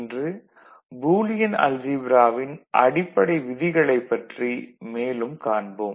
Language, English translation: Tamil, So, we shall look more into the Fundamentals of the Boolean Algebra in this particular class